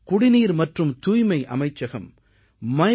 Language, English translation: Tamil, The Ministry of Drinking Water and Sanitation has created a section on MyGov